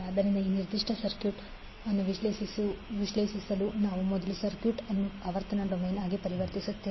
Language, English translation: Kannada, So to analyze this particular circuit we will first transform the circuit into frequency domain